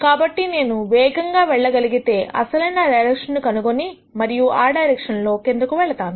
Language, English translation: Telugu, So, the direction in which I can go down really fast and I will nd that direction and then go down the direction